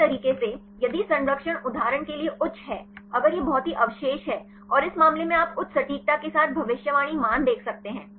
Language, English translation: Hindi, Other way around, if the conservation is high for example, if this highly same residues and this case you can see the prediction values with the high accuracy